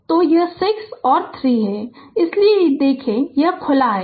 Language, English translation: Hindi, So, so this 6 and 3 right, so if you look into that this is open